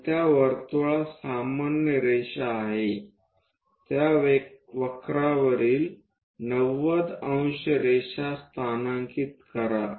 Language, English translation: Marathi, So, this is the normal to that circle locate a 90 degrees line on that curve that will be here